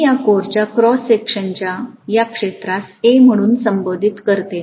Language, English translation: Marathi, Let me call this area of cross section of this core as A